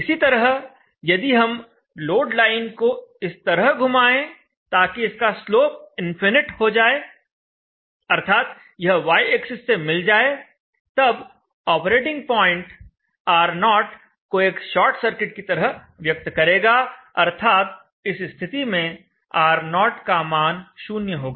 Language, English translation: Hindi, Similarly if we rotate the load line such that the slope is infinite and aligned along the y axis then the operating point represents R0 as a short circuit R0 is equal to 0